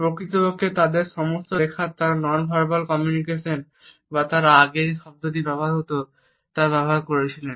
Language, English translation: Bengali, In fact, in all their writings they have used consistently nonverbal aspects of communication or any of the terms which they had used earlier